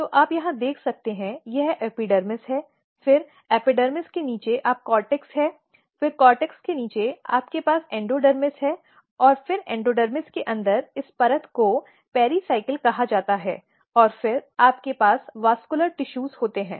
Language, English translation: Hindi, So, you can look here this is epidermis, then below epidermis you have cortex then below cortex you have endodermis, and then below endodermis inside endodermis this layer is called pericycle and then you have the vascular tissue